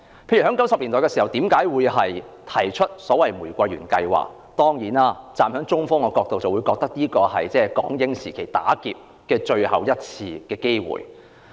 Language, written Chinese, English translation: Cantonese, 香港曾在1990年代提出玫瑰園計劃，站在中方的角度，這是港英時期最後一次"打劫"的機會。, Hong Kong put forward the Rose Garden Project in the 1990s which was seen by China as the last chance to rob Hong Kong during the British - Hong Kong era